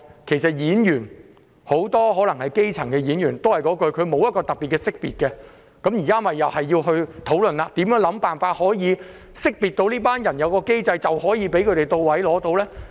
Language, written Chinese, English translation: Cantonese, 其實，很多演員也是基層市民，這行業也欠缺識別機制，所以現在又要討論如何識別這一類人，只要有機制，便可以為他們提供資助。, So this is another profession needed to be identified . As long as they are identifiable under the system the Government can provide assistance to them